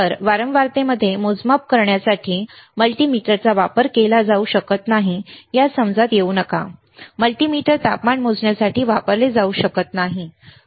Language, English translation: Marathi, So, do not come under the impression that the multimeter cannot be used to measure frequency; the multimeter cannot be used to measure temperature, right